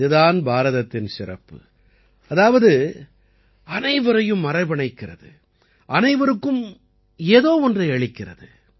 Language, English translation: Tamil, This is the specialty of India that she accepts everyone, gives something or the other to everyone